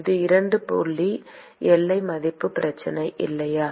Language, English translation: Tamil, It is a 2 point boundary value problem, right